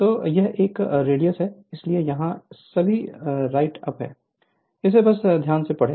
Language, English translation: Hindi, So, it is a radius, so all these write up is there, so just read carefully